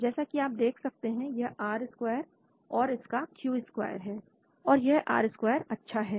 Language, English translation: Hindi, As you can see, this is the R square and Q square for this and this R square is good